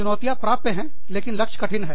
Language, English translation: Hindi, So, challenges are achievable, but difficult goals